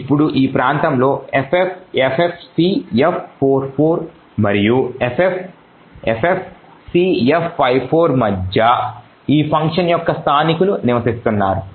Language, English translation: Telugu, Now within this particular region between ffffcf44 and ffffcf54 is where the locals of this particular function reside